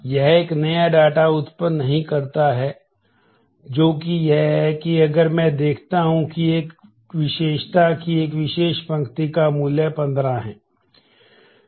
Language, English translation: Hindi, It does not generate a new data that is that has to be that is if I see that a, we an attribute for a particular row has a value 15